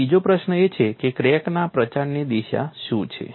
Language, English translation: Gujarati, And the secondary question is what is the direction of crack propagation